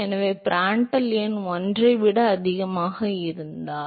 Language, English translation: Tamil, So, so if Prandtl number is greater than 1